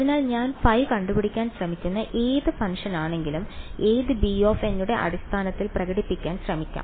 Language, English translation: Malayalam, So, whatever function I am trying to find out phi, let me try to express it in the basis of b n ok